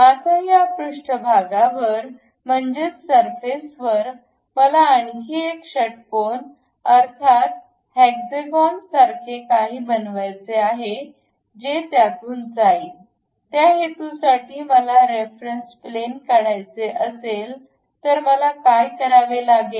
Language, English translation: Marathi, Now, on this surface I would like to construct another hexagon kind of thing inclinely passing through that; for that purpose if I would like to construct a reference plane, what I have to do